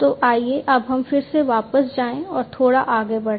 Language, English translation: Hindi, So, let us now again go back and look little further